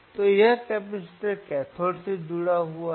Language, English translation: Hindi, So, this capacitor is connected to the cathode is connected to the cathode